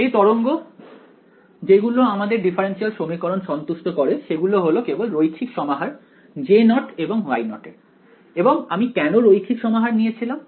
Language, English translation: Bengali, The waves that satisfy our differential equation are just a linear combination of J naught and Y naught, and why did we choose that linear combination